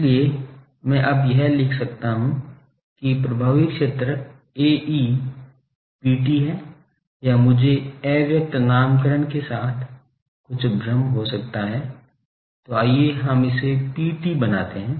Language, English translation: Hindi, So, I can now write that effective area A e is P T, or I can there will be some confusion with the latent nomenclature so let us make it P T